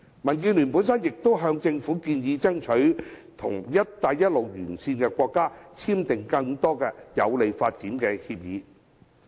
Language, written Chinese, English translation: Cantonese, 民建聯亦曾向政府建議爭取和"一帶一路"沿線國家簽訂更多有利發展的協議。, DAB has also suggested the Government strive to sign more agreements that are beneficial to our development with countries along the Belt and Road